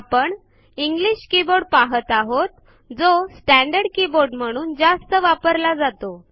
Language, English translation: Marathi, We now see the English keyboard which is the standard keyboard used most of us